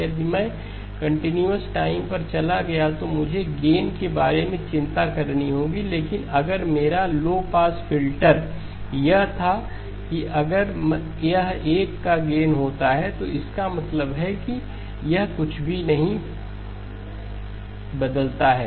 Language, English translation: Hindi, If I went to the continuous time, then I would have to worry about the gain but if my low pass filter that was that if it had a gain of 1 that means it did not change anything right